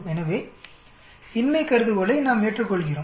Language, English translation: Tamil, So we accept the null hypothesis